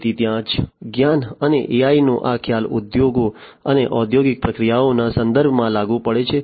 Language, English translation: Gujarati, So, that is where this concept of knowledge and AI and etcetera comes in applicable in the context of industries and industrial processes